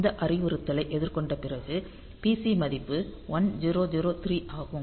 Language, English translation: Tamil, So, after this instruction has been faced the PC value is 1003